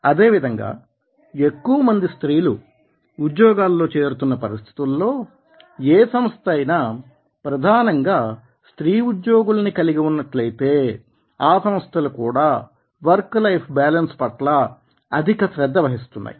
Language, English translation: Telugu, similarly, when there are more family employees are entering into the job, if the organization is pre dominantly of the female employees, then they are also looking for work life balance